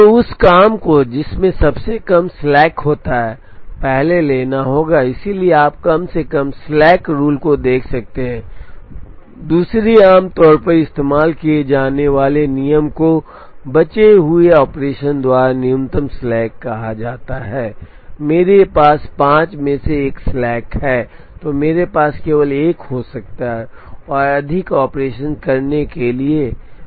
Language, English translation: Hindi, So, that job which has the least slack will have to be taken first, so you could look at least slack rule, another commonly used rule is called minimum slack by remaining number of operations, I have a slack of 5 I may have only one more operation to go